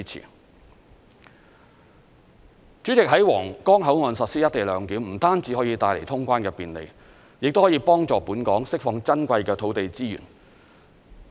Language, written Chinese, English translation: Cantonese, 代理主席，在皇崗口岸實施"一地兩檢"，不單可以帶來通關的便利，亦可以幫助本港釋放珍貴的土地資源。, Deputy President the implementation of the co - location arrangement at the Huanggang Port will not only facilitate the customs clearance but will also help Hong Kong to free up invaluable land resources